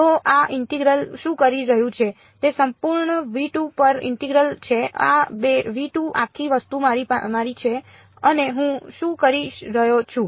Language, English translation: Gujarati, So, what is this integral doing this is an integral over entire v 2 right this whole thing is my v 2 and what am I doing